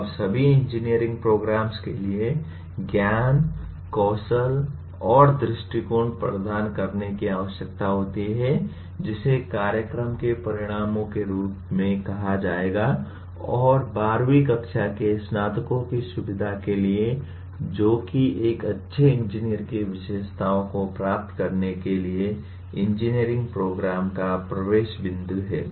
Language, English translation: Hindi, Now all engineering programs are required to impart knowledge, skills and attitudes which will be stated as program outcomes and to facilitate the graduates of 12th standard, that is the entry point to engineering program to acquire the characteristics of a good engineer